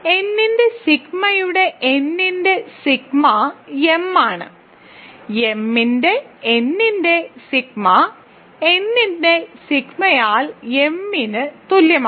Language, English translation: Malayalam, So, sigma of m is m sigma of n is n